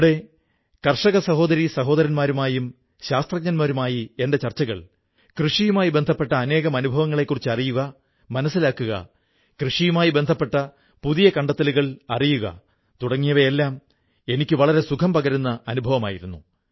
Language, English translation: Malayalam, It was a pleasant experience for me to talk to our farmer brothers and sisters and scientists and to listen and understand their experiences in farming and getting to know about innovations in the agricultural sector